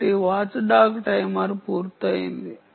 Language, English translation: Telugu, ok, so watchdog timer is done